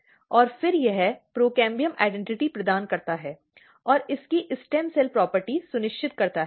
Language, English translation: Hindi, And then provides this procambium identity and ensures its stem cell property